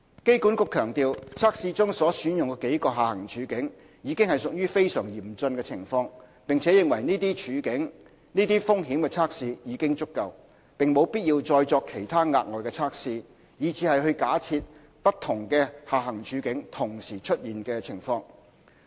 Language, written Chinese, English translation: Cantonese, 機管局強調，測試中所選用的幾個下行處境，已屬非常嚴峻的情況，並認為這些風險測試已經足夠，無必要再作其他額外的測試，去假設不同的下行處境同時出現的情況。, AA stressed that the downside scenarios selected in the tests already represented very critical situations . AA also considered that these risk tests were already sufficient and it was not necessary to conduct other additional tests or to assume simultaneous occurrence of different downside scenarios